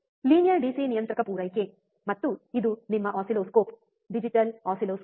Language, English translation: Kannada, Linear DC regulator supply, and this is your oscilloscope, digital oscilloscope